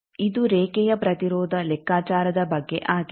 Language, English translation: Kannada, This is about line impedance calculation